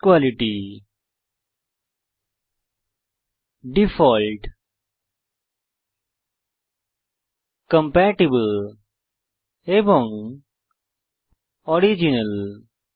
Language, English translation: Bengali, Best quality, default, compatible and original